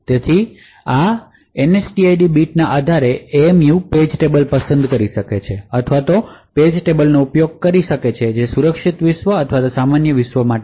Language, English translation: Gujarati, So, based on this NSTID bit the MMU would be able to select page tables or use page tables which are meant for the secure world or the normal world